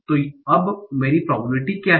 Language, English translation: Hindi, So now what is my probability